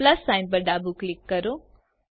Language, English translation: Gujarati, Left click the plus sign